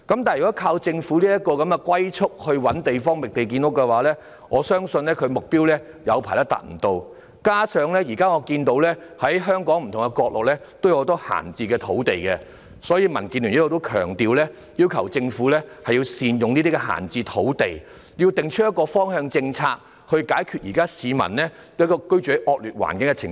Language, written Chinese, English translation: Cantonese, 不過，如依靠政府如此龜速地"覓地建屋"，我相信長時間也未能達到目標，加上我看到目前香港不同角落有很多閒置土地，所以民建聯亦強調，要求政府善用這些閒置土地，訂立一個方向政策，以解決現在市民居住在惡劣環境的情況。, However if relying on such a turtle speed of the Government in finding land for housing development I believe for a long while the target cannot be reached . Moreover I see that there are a lot of idle sites lying in different corners of Hong Kong so DAB also stressed and requested the Government to make optimal use of these idle sites draw up the guiding policies to solve the current situation of people living in a poor environment